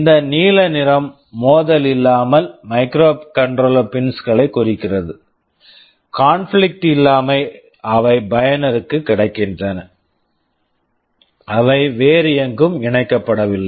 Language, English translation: Tamil, Like this blue color indicates the microcontroller pins without conflict; without conflict means they are available to the user, they are not connected anywhere else